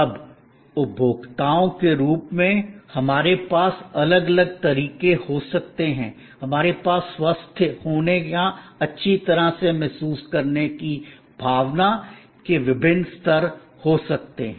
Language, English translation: Hindi, Now, as consumers we may have different modes, we may have different levels of sense of being feeling healthy or feeling well